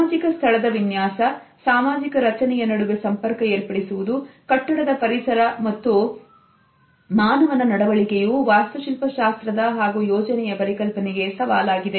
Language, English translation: Kannada, The design of a social space the interface between social structure, built environment and human behaviour is one of the most challenging concepts of architectural and planning